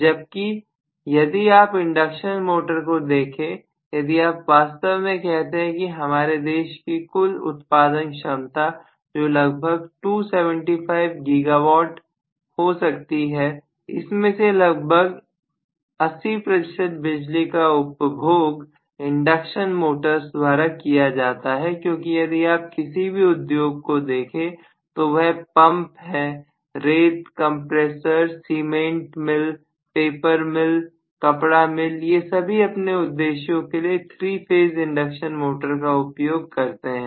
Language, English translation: Hindi, Whereas if you look at the induction motor right if you actually say that the total generating capacity may be of our country now is about 275 Giga watt almost 80 percent of the electricity generated is used by induction motors because if you look at any industry be it pumps, sands, compressors you know cement mill, paper mill you name it textile mill all of them use 3 phase induction motor for their rotational purposes